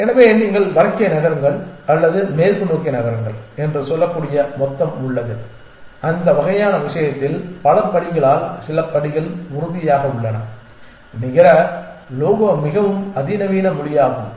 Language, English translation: Tamil, So, there is a total which you can say move north or move west and so on so many step certain by so many steps in that kind of thing its net logo is the more sophisticated language